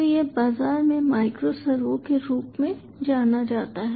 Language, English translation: Hindi, so this is what is ah known as ah micro servo in the market